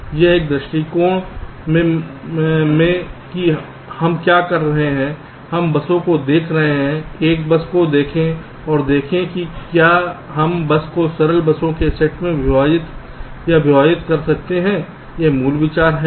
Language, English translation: Hindi, now, in this approach, what we are saying is that we are looking at the buses, look at a bus and see whether we can split or partition a bus into a set up simpler buses